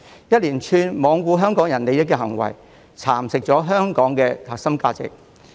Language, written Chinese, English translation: Cantonese, 一連串罔顧香港人利益的行為，蠶食了香港的核心價值。, A series of acts disregarding the interests of Hong Kong people have eroded the core values of Hong Kong